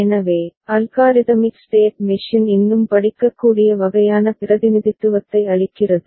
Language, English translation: Tamil, So, algorithmic state machine gives a more readable kind of representation ok